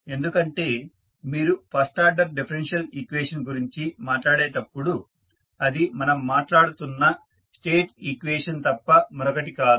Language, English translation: Telugu, Because, when you talk about the first order differential equation that is nothing but the state equation we are talking about